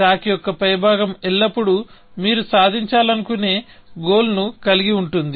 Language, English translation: Telugu, So, the top of the stack will always, contain the goals that you want to achieve, essentially